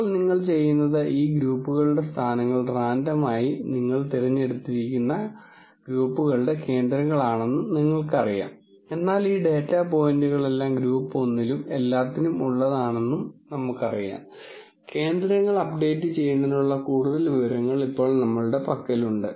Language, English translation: Malayalam, Now, what you do is, you know that these group positions are the centres of these groups were randomly chosen now, but we have now more information to update the centres because I know all of these data points belong to group 1 and all of these data points belong to group 2